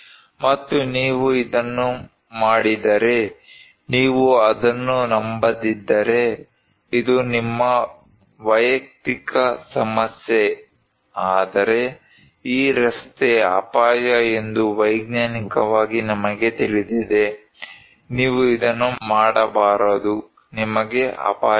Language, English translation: Kannada, And if you do it, if you do not believe it, this is your personal problem but, scientifically we know that this road is danger, you should not do this so, you are at risk